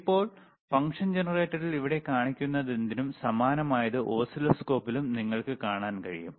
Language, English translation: Malayalam, So now, whatever is showing here on the function generator, you can also see similar thing on the oscilloscope